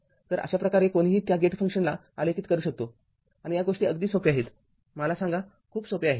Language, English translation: Marathi, So, this is how one can plot your what you call that your gate function and this is the things are very simple let me tell you things are very simple